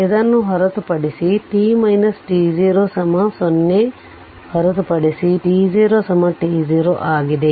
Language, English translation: Kannada, Except this delta t minus t 0 is equal to 0 except at t 0 is equal to t 0